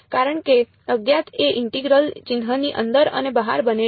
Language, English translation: Gujarati, because the unknown is both inside and outside the integral sign right